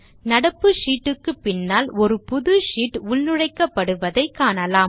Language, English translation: Tamil, We see that a new sheet is inserted after our current sheet